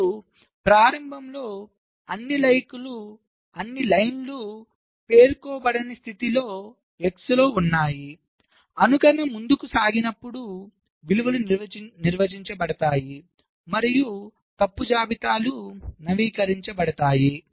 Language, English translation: Telugu, and at the beginning all lines are in an unspecified state, x, as simulation proceeds, the values get defined and the fault lists get updated